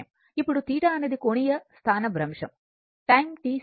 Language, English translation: Telugu, Now, theta is the angular displacement in time t second